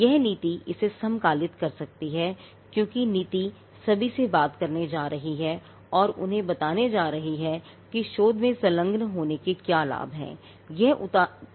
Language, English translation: Hindi, This policy can synchronize it because the policy is going to speak to everyone it is going to tell them what are the benefits of engaging in research